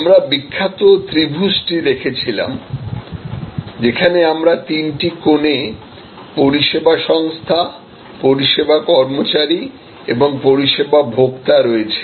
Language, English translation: Bengali, We looked at the famous triangle, where at the three corners we have the service organization, the service employee and the service consumer